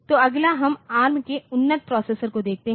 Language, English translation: Hindi, So, next we will next we look into the advanced processors of ARM